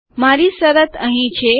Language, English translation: Gujarati, My condition is here